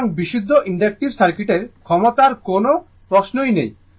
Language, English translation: Bengali, So, there is no question of power in the in purely inductive circuit right